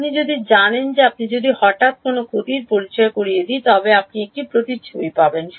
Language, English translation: Bengali, You know that if I introduce if you introduce a loss abruptly what will happen you will get a strong reflection